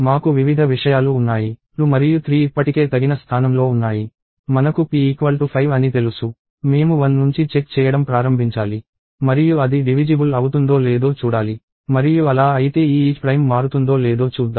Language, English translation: Telugu, We have various things; 2 and 3 are already in place; I know p equal to 5; I have to start checking from 1 onwards and see if it is divisible or not, and if so we are going to see if this isPrime changes